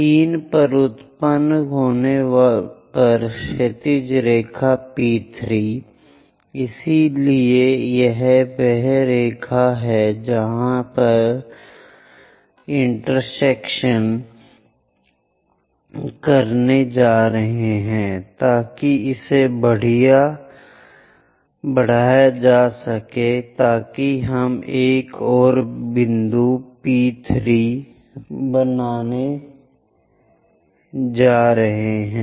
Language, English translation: Hindi, The horizontal line P3 on generate at 3; so this is the line where it is going to intersect extend it so that we are going to make another point P3